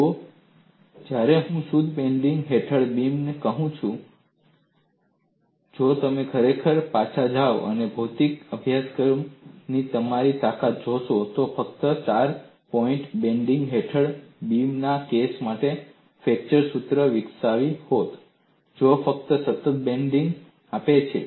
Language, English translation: Gujarati, See, when I say beam under pure bending, if you really go back and see your strength of material course development, you would have developed the flexure formula only for the case of a beam under fore point bending, which is giving only constant bending moment in the length of the beam, for which you want to find out the stresses